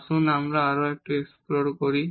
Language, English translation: Bengali, Let us explore this little bit more